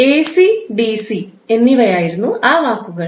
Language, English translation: Malayalam, Those words were AC and DC